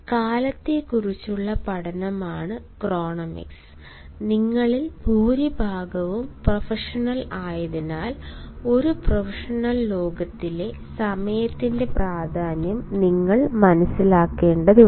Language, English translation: Malayalam, chronemics is the study of time and, as most of you, our professors or would be professionals, you ought to understand the importance of time